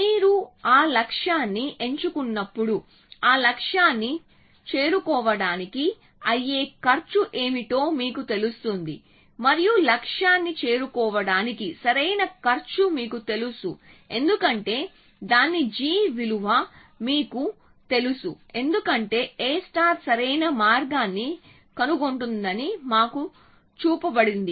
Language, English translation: Telugu, So, when you pick that goal you know what is the cost of reaching that goal and the optimal cost of reaching the goal because you know its g value because we are we are shown that a star finds an optimal path